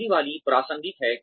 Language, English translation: Hindi, The first one is relevance